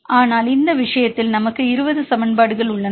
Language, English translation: Tamil, So, you get 20 differential equations